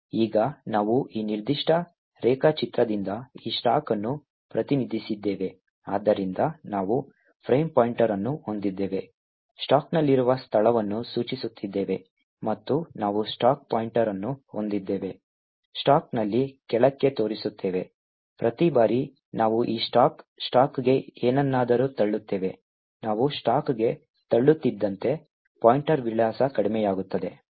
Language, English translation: Kannada, Now we have represent this stack by this particular diagram, so we have a frame pointer, pointing to a location in the stack and we have a stack pointer, pointing lower down in the stack, every time we push something onto this stack, the stack pointer address reduces as we keep pushing into the stack